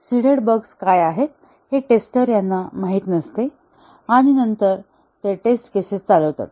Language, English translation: Marathi, The testers do not know what the seeded bugs are, and then as they run the test cases